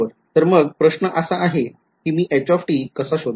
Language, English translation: Marathi, So, the question is how would I calculate h